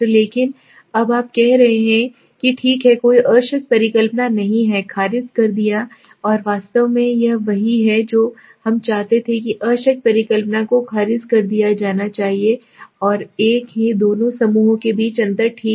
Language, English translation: Hindi, But now you are saying okay, no there are null hypothesis has been rejected and actually this is what we wanted that null hypothesis should be rejected and there is a difference between the two groups okay